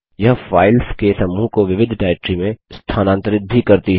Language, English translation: Hindi, It also moves a group of files to a different directory